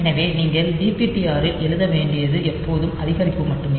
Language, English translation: Tamil, So, it you have to write into DPTR is always increment only